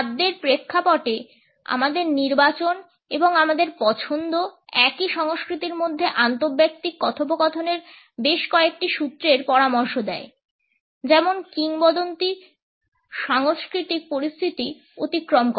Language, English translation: Bengali, Our choices in the context of food and our preference suggest several clues in interpersonal dialogue within the same culture as the legend cross cultural situations